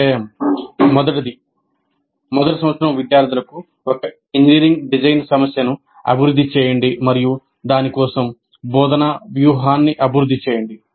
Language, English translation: Telugu, Develop one engineering design problem for first year students and develop an instructional strategy for it